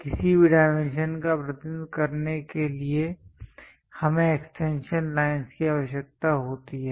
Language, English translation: Hindi, If to represent any dimensions we require extension lines